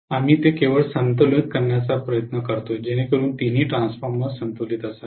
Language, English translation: Marathi, We will try to make it only balanced, so all the three transformers have to be balanced